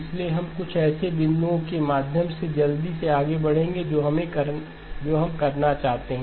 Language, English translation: Hindi, So we will move quickly through some of the points that we want to do